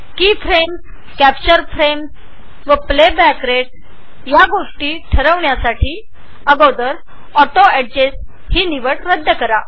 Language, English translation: Marathi, To set the values for Key Frames, Capture Frames and the Playback Rate, first uncheck the Auto Adjust button